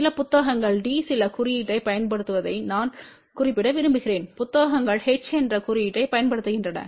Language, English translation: Tamil, I just want to mention some books use the symbol d some books use the symbol h